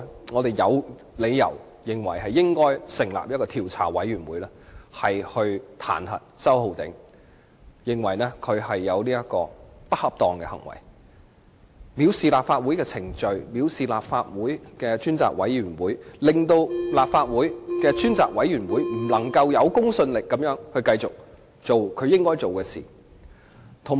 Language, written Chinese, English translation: Cantonese, 我們有理由認為應該成立調查委員會來譴責周浩鼎議員，因他透過不恰當行為，藐視立法會的程序和專責委員會，令專責委員會不能有公信力地繼續做其應做的事。, We have reason to consider that an investigation committee should be set up to censure Mr Holden CHOW because he has through misbehaviour showed contempt for the proceedings and the Select Committee of the Legislative Council thus rendering the Select Committee unable to continue to do what it should do in a credible manner